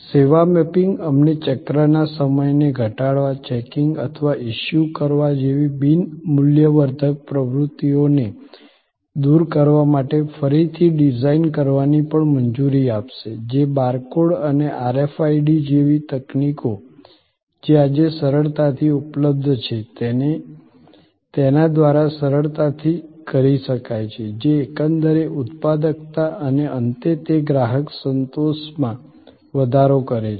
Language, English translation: Gujarati, The service mapping will also allow us to redesign to reduce the cycle time, to eliminate non value adding activities like checking or issuing, which can be done easily by technology by bar code and RFID and such easily available technologies today, which will increase the overall productivity and at the end, it increase customer satisfaction